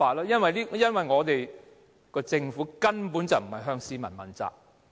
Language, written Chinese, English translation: Cantonese, 因為我們的政府根本不是向市民問責。, These should all be attributed to the fact that our Government is not accountable to the public